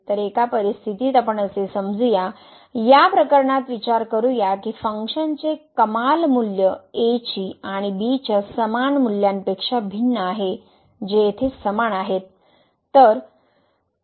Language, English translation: Marathi, So, in either situation let us consider the case we suppose that the maximum value of the function is different from the equal values of at and which are the same here